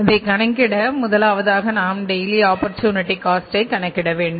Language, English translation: Tamil, So, first of all what we have to do is we have to calculate the daily opportunity cost